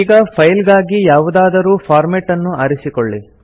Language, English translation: Kannada, Now let us select a format for the file